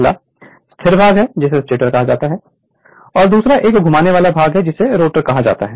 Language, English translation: Hindi, 1 is stationeries part that is called stator another is rotating part or revolving part, we call it as rotor right